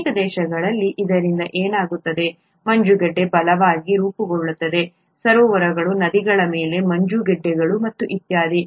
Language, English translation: Kannada, What happens because of this in cold countries, ice forms right, ice forms on lakes, rivers and so on and so forth